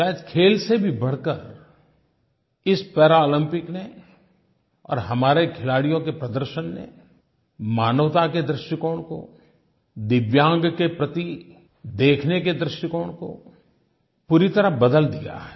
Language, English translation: Hindi, Perhaps going beyond sporting achievements, these Paralympics and the performance by our athletes have transformed our attitude towards humanity, towards speciallyabled, DIVYANG people